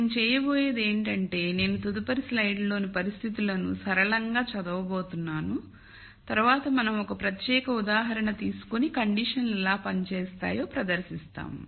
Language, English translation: Telugu, What I am going to do is I am just going to simply read out the conditions in the next slide and then we will take a particular example and then demonstrate how the conditions work